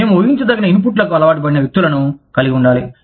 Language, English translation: Telugu, We need to have people, who are very predictable, who are used to predictable inputs